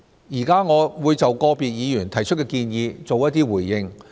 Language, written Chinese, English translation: Cantonese, 現在，我會就個別議員提出的建議作出一些回應。, I will now respond to the proposals raised by individual Members